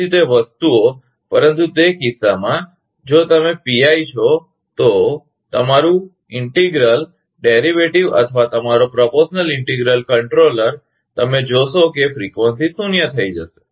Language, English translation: Gujarati, So, though those things, but in that case, if you is PI, your integral; integral derivative or your proportional integral controller, you will find frequency will become zero